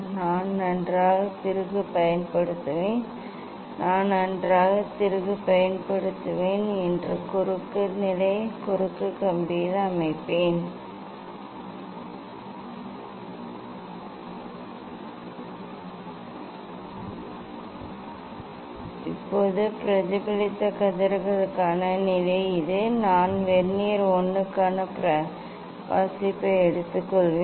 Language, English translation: Tamil, then I will use fine screw I will use fine screw and set at the cross position cross wire yes, I have set this the position for the refracted reflected rays now, I will take reading for Vernier 1